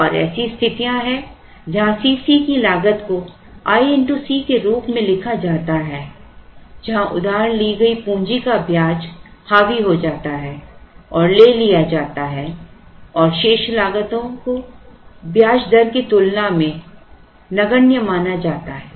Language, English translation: Hindi, And there are situations where cost C c is written as i into C where the interest on the borrowed capital dominates and is taken and the rest of them are assumed to be negligible compared to the interest rate